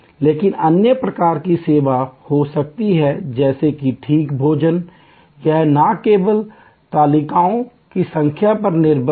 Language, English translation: Hindi, But, there can be other types of service like fine dining, it is not only depended on the number of tables